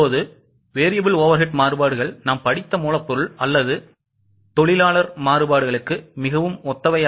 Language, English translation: Tamil, Now variable overhead variances are pretty similar to the material or labour variances which we have studied